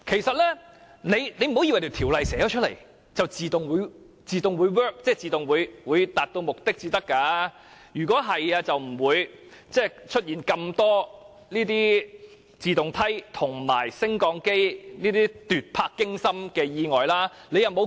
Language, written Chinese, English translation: Cantonese, 政府不要以為在法例中列明條文便會自動達到目的，如果是這樣，便不會出現那麼多涉及自動梯及升降機的奪魄驚心意外。, The Government must not think that when legal provisions are made the objective can naturally be achieved . If that were the case the many terrifying accidents involving escalators and lifts would not have taken place